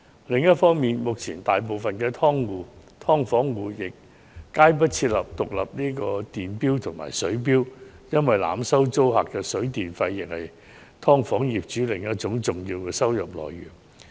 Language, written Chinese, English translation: Cantonese, 另一方面，目前大部分"劏房"都沒有安裝獨立電錶及水錶，因為濫收租客水電費用是"劏房"業主另一重要收入來源。, Meanwhile most subdivided units do not have separate water and electricity meters installed because another important source of income of landlords is overcharging tenants of water and electricity tariffs